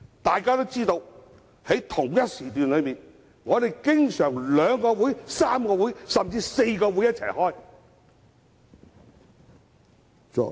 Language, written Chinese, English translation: Cantonese, 眾所周知，在同一時段中，經常有兩個、3個、甚至4個會議同時進行。, As everyone knows two three or even four meetings are often held at the same time